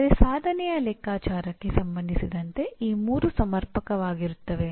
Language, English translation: Kannada, But as far as computing the attainment is concerned these three will be adequate